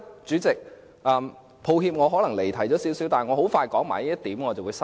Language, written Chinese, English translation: Cantonese, 主席，抱歉我可能有些離題，但我很快說完這一點便會收口。, President sorry I might have strayed from the subject but I will soon finish this point and stop